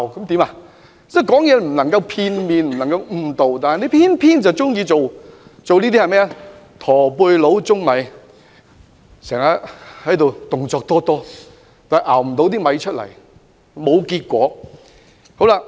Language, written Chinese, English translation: Cantonese, 說話不能片面、不能誤導，他們偏偏喜歡像"駝背佬舂米"，動作多多，但卻徒勞無功。, We should not be one - sided and misleading when we speak yet they are eager to act like a hunchback man grounding rice―doing so many things but all efforts are in vain